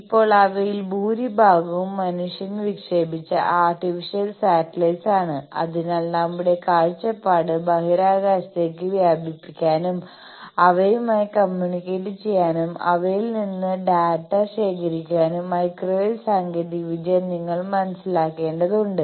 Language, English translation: Malayalam, Now, most of them are artificial satellites which man has launched, so that to extend our vision into space, to communicate with them, to gather data from them you need to understand the technology of microwave